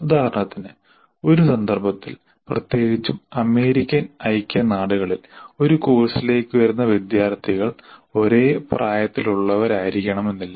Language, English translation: Malayalam, For example, in a context, especially in United States of America, the students who come to a course do not necessarily belong to the same age group